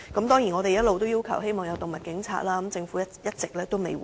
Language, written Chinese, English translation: Cantonese, 當然，我們一直要求設立動物警察，但政府卻一直未有回應。, Of course we have been demanding the setting up of animal police . But the Government has not given us any reply all along